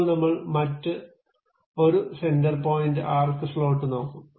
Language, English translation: Malayalam, Now, we will look at other one center point arc slot